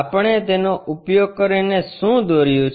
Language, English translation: Gujarati, Using that what we have drawn